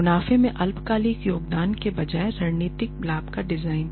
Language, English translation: Hindi, Designing of strategic gains rather than short term contribution to profits